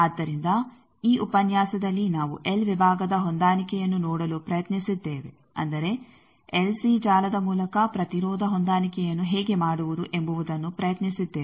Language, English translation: Kannada, So, in this lecture we have tried to see the l section matching that means, by l c network how to do the impedance matching